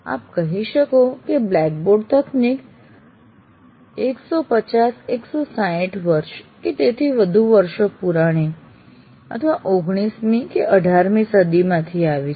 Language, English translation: Gujarati, The blackboard technology you can say goes more than 150, 160 years or many more years, right into the 19th century, 18th century